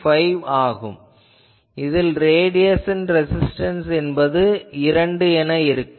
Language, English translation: Tamil, 5 so, radiation resistance will be 2